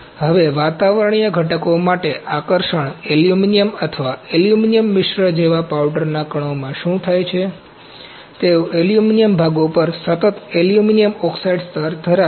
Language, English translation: Gujarati, Now, attraction for atmospheric constituents, what happens in powder particles such as aluminuim or aluminuim alloys, They have a constant aluminuim oxide layer over aluminuim parts